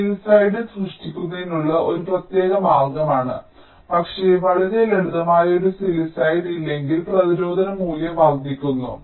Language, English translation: Malayalam, sillicided is a special way of creating, but if there is no sillicide, which is much simpler, then the resistance value increases, ok